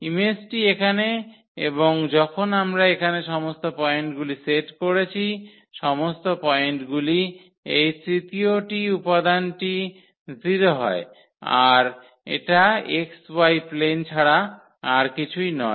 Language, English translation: Bengali, So, this is the image here and when we have set here all the points where this third component is 0 this is nothing but the xy plane